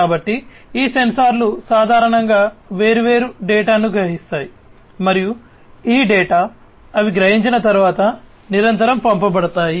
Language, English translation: Telugu, So, these sensors typically sense lot of different data and this data are sent continuously after they are being sensed